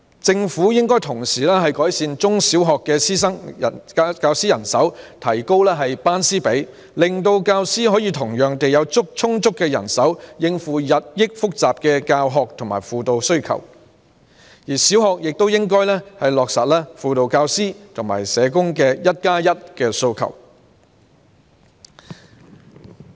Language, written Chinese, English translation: Cantonese, 政府應同時改善中小學教師人手，提高班師比例，以便有充足的教師人手，應付日益複雜的教學和輔導需求，而小學亦應落實輔導教師及社工"一加一"的訴求。, The Government should also increase primary and secondary school teachers and the class - to - teacher ratio so that there are sufficient teachers to meet the increasingly complicated teaching and counselling demands . Moreover primary schools should implement the proposal of one social worker plus one guidance teacher